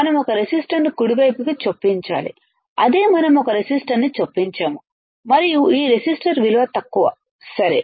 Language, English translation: Telugu, We have to insert a resistor right that is what we have done we have inserted a resistor and this resistor value is low ok